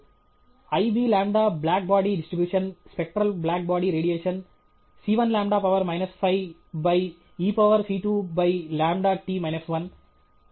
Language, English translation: Telugu, i b lamda, the black body distribution the spectral black body radiation into the c 1 lamda to the power of minus 5 divided by e to the power of c 2 by lamda t minus 1